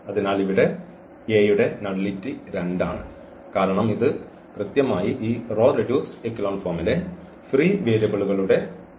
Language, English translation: Malayalam, So, here the nullity of A is 2 because of this is a precisely the number of this free variables in row reduced echelon form